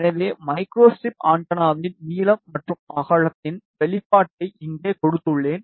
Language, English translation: Tamil, So, I have given here the expression of length and width of micro strip antenna